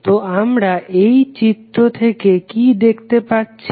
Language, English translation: Bengali, So, what we can see from this figure